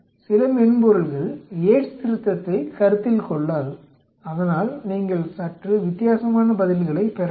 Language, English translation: Tamil, Some softwares might not consider Yate’s correction so you may get slightly different answers